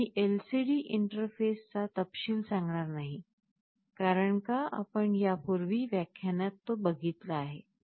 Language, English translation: Marathi, We are not showing the details of LCD interface, because you have already studied this and saw in some earlier lecture